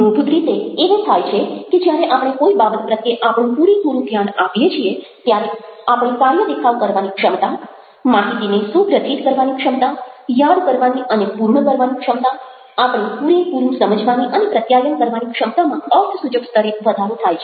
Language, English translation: Gujarati, what basically happens is that when we give something our total attention, our ability to perform, our ability to network the information, our ability to remember and complete whatever, completely understand and to communicate is enhance to a very significant extent